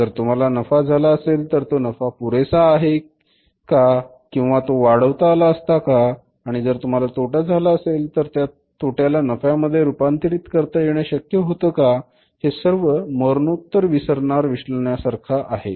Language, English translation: Marathi, If we have the profit with the profit is sufficient or it could have been increased and if it is a loss then could it have been it means was it possible to convert it into the profit but it is only a post mortem analysis